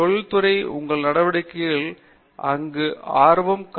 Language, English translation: Tamil, Where does industry show interest in activities that you pursue